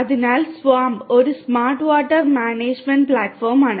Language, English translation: Malayalam, So, the SWAMP is a Smart Water Management Platform